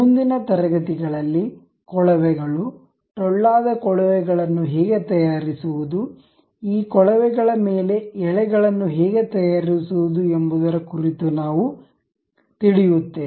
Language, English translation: Kannada, In the next class, we will know about how to make pipes, hollow pipes, how to make threads over these pipes